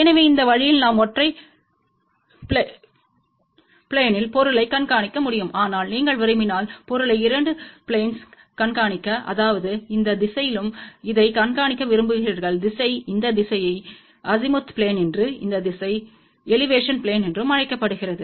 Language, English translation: Tamil, So, this way we can track the object in single plane, but if you want to track the object in 2 planes that means, you want to track in this direction as well as in this direction this direction is known as Azimuth plane and this direction is known as Elevation plane